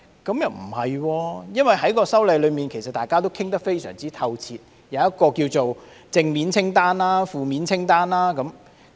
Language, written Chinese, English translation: Cantonese, 不會的，因為大家已就《條例草案》作出非常透徹的討論，並列出正面清單和負面清單。, The answer is in the negative because we have conducted very thorough discussions on the Bill which has set out positive and negative lists